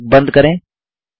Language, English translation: Hindi, Close the brace